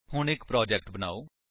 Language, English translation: Punjabi, Now let us create a Project